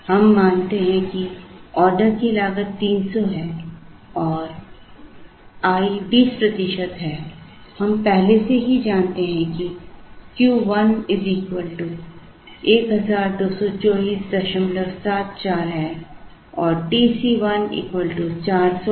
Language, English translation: Hindi, We assume that the order cost is 300 and i is 20 percent, we already know that Q 1 is 1224